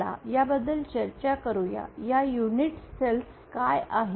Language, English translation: Marathi, So let us discuss these, what are these unit cells